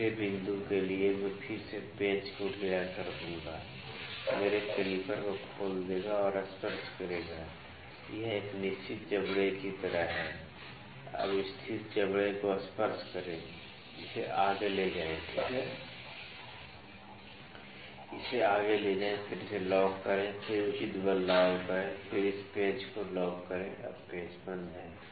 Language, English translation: Hindi, For the third point again I will loosen the screws open my calliper and touch the this is kind of a fixed jaw now touch the fixed jaw take it this further, ok, take this further then lock this, then apply appropriate force then lock this screw now the screws are locked